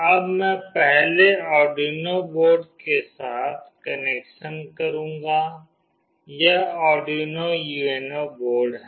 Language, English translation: Hindi, Now I will be doing the connection first with the Arduino board, this is Arduino UNO board